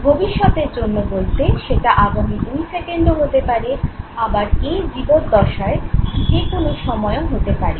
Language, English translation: Bengali, Future usage could be say a couple of seconds from now or it could be even in the lifetime sometime